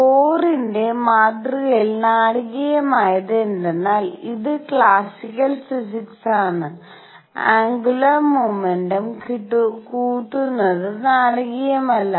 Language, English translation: Malayalam, What was dramatic about Bohr’s model this is this is classical physics nothing new what is dramatic was the quantization of angular momentum